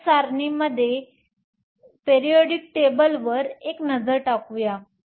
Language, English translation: Marathi, Let us take a look at the periodic table